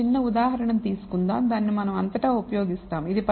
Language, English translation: Telugu, So, let us take one small example, which we will use throughout